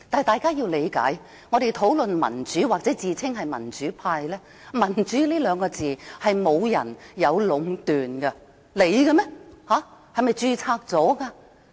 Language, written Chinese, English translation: Cantonese, 大家要理解，我們討論民主或自稱民主派，"民主"這兩個字無人可以壟斷，是屬於任何人的嗎？, Let us have some understanding about this―we hold discussions on democracy or call ourselves members of the pro - democracy camp―no one can monopolize the word democracy . Does it belong to anyone?